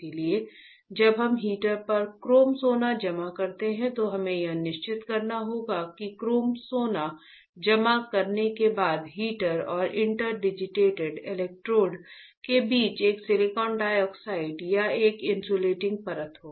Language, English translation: Hindi, So, when we deposit chrome gold on the heater, we have to make sure that there is a silicon dioxide or an insulating layer between the heater and the interdigitated electrodes after depositing chrome gold